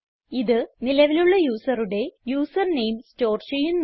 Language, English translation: Malayalam, It stores the username of the currently active user